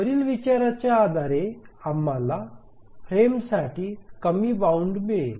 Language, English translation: Marathi, So based on this consideration, we get a lower bound for the frame